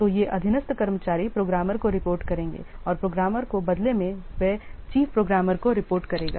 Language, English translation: Hindi, So, these subordinate staffs will report to the programmer and in turn the programmers they will report to the chief programmer